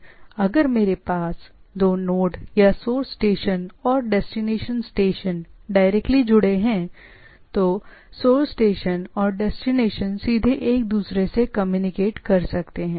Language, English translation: Hindi, That means, if I have two nodes connected directly or two station, if we consider the station, that source station and destination directly connected then they can communicate to each other directly